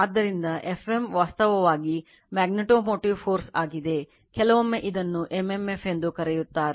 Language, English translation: Kannada, So, F m is actually magnetomotive force, sometimes we call it is at m m f